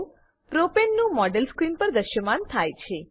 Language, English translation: Gujarati, The Model of Propane appears on screen